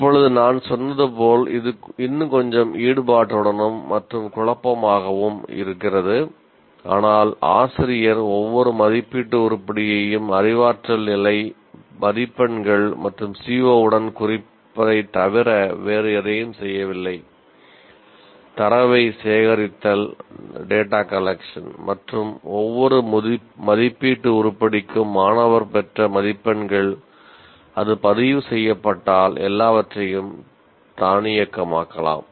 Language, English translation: Tamil, Now, as I said, it looks a little more what do you call involved and messy, but once you, the teacher is not doing anything other than tagging the every assessment item with cognitive level marks and the CVO and the CVO and collect the data and also whatever marks that student has obtained for each assessment item if that is recorded, everything else can be automated